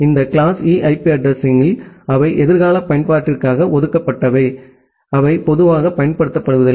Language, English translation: Tamil, This class E IP addresses, they are reserved for future use, they are not normally used